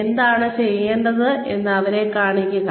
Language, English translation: Malayalam, Show them, what is required to be done